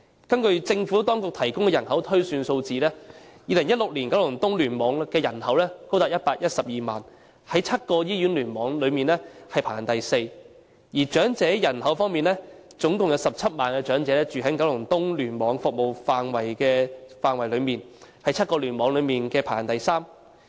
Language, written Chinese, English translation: Cantonese, 根據政府當局提供的人口推算數字 ，2016 年九龍東聯網的人口高達112萬，在7個醫院聯網中排行第四，而在長者人口方面，共有17萬名長者居於九龍東聯網的服務範圍內，在7個聯網中排行第三。, According to the population projections provided by the Administration in 2016 the population in KEC reached 1.12 million ranking the fourth among the seven hospital clusters . Regarding the elderly population 170 000 elderly people in total lived in the service area of KEC ranking the third among the seven clusters